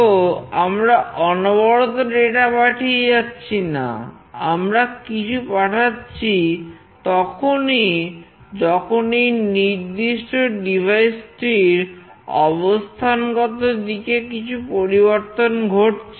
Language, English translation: Bengali, So, continuously we are not sending something, we are only sending something whenever there is a change in this particular device orientation